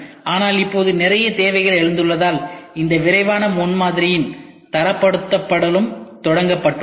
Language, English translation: Tamil, But now since there is lot of need and requirements have arised now standardization as of this Rapid Prototyping has also started